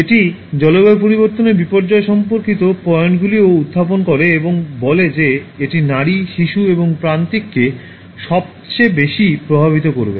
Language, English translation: Bengali, It also rises points related to climate change disasters and says that it will affect the women, the children, and the marginal the most